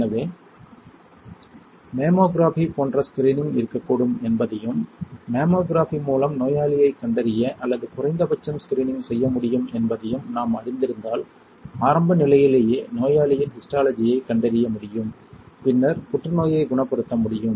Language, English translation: Tamil, So, if we are aware that there can be screening like mammography right and that mammography can probably help us to diagnose or at least screen the patient and patient can be diagnosed with the histology at early stages, then the cancer can be cured